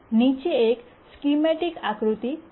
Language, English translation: Gujarati, Now let's throw a schematic diagram